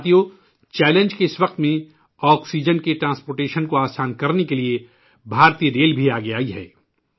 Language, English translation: Urdu, Friends, at this very moment of challenge, to facilitate transportation of oxygen, Indian Railway too has stepped forward